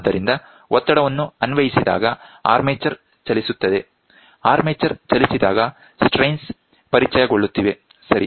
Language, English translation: Kannada, So, as in when the pressure is applied, the armature moves, when the armature moves the strains are getting introduced, right